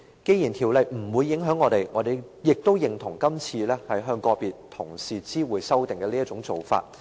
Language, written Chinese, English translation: Cantonese, 雖然《條例草案》不會影響我們，我們亦認同今次向個別同事知會修訂的做法。, And while the Bill has no bearings on us we also agree to the present approach of informing individual Members of the amendment